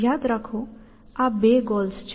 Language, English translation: Gujarati, Remember, these are two goals